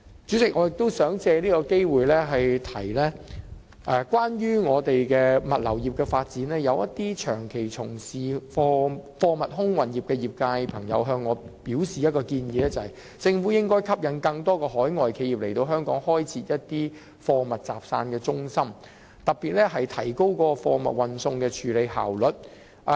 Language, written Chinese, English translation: Cantonese, 主席，我亦想藉此機會指出，就本港的物流業發展，一些長期從事貨物空運業的朋友曾向我提出建議，便是政府應該吸引更多海外企業來香港開設貨物集散中心，以提高貨物運送的處理效率。, Chairman I also wish to take this opportunity to point out that regarding the development of the logistics industry some people who have long been engaged in the air freight industry have made a proposal to me . They proposed that the Government should attract more overseas companies to set up vendor hubs in Hong Kong thereby enhancing the efficiency of cargo forwarding